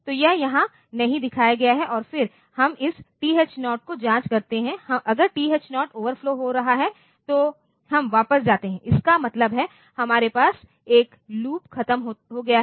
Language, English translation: Hindi, So, that is not shown here and then we check this TH0, if the TH0 is overflowing then we go to back; that means, we have 1 loop is over